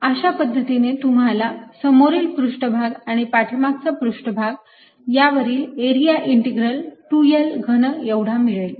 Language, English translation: Marathi, so the front surface and the back surface area integral gives you two l cubed